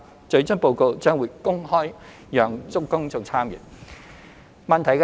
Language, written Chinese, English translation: Cantonese, 最終報告將會公開讓公眾參閱。, The final report will be made public